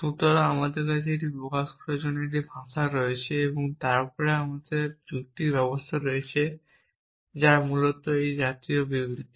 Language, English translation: Bengali, So, I have a language for expressing this essentially and then they have mechanism of reasoning which such statement essentially